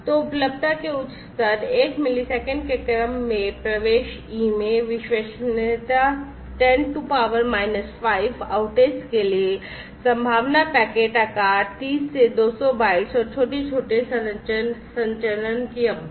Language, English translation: Hindi, So, high levels of availability then into entrance e of in the order of 1 millisecond reliability in less than 10 to the power minus 5 outage, probability packet size of thirty to 200 bytes, and small smaller transmission duration